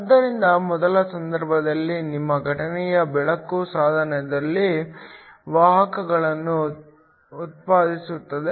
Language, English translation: Kannada, So, In the first case your incident light generates carriers in the device